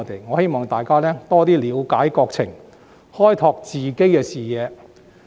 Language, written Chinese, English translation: Cantonese, 我希望大家多些了解國情，開拓自己的視野。, I hope people can better understand the national situation and broaden their horizons